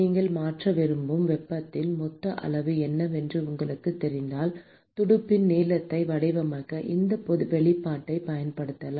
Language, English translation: Tamil, if you know what is the total amount of heat that you want to transfer, then you could use this expression in order to design the length of the fin